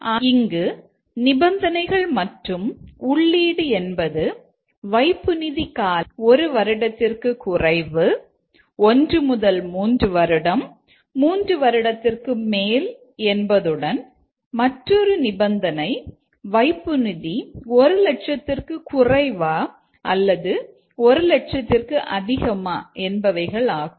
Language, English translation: Tamil, So, here the conditions and the input, if it is the amount of deposit is less than one year, one to three year, three year and also another condition is that whether it is less than one lakh or more than one lack